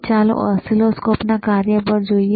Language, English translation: Gujarati, Now, let us go to the function of the oscilloscopes